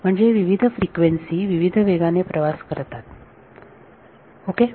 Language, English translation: Marathi, So, different frequencies travel with different speeds ok